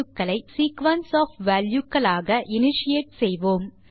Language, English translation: Tamil, We initiate them as sequence of values